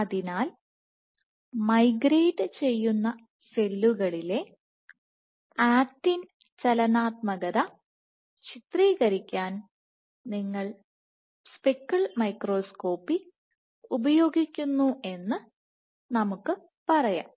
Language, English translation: Malayalam, So, now let us say you use speckle microscopy to image actin dynamics in migrating cells